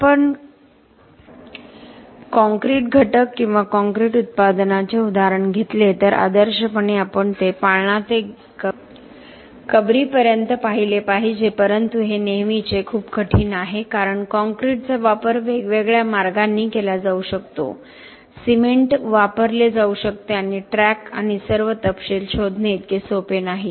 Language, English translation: Marathi, If we take an example of a concrete element or concrete product, ideally we should look at it from cradle to grave but this always very different because there are many different ways concrete can be used many different ways, cement can be used and to track and to trace all the details is not that easy